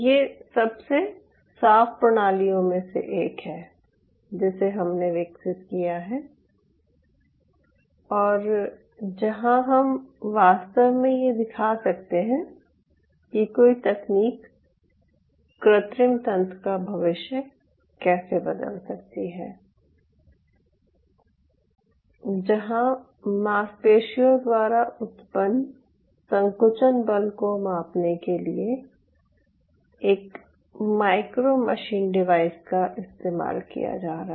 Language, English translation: Hindi, so this is one of the most ah, cleanest system we had the privilege of developing, where we really could show a technology, how technology can change the future of in vitro systems where a micro machine device is being used to measure the contractile force generated by the muscle